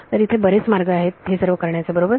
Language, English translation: Marathi, So, there are many ways of doing it right